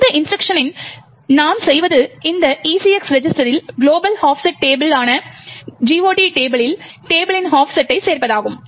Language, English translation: Tamil, In this instruction what we do is add the offset of the GOT table, the global offset table to this ECX register